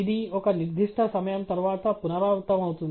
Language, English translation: Telugu, It repeats itself after a certain time